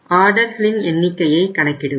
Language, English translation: Tamil, We will have to calculate number of orders